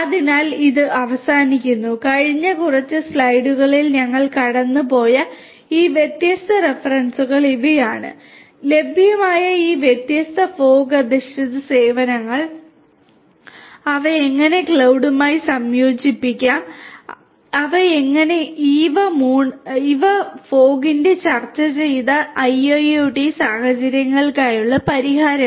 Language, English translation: Malayalam, So, with this we come to an end and these are some of these different references we have gone through in the last few slides, these different different fog based services that are available and how they could be integrated with cloud and so on and these are these fog based solutions for IIoT scenarios which we have discussed